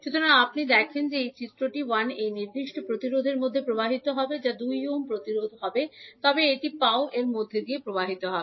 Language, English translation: Bengali, So, if you see this figure I 1 will be flowing in this particular resistance that is 2 ohm resistance but one leg of I 2 will also be flowing through this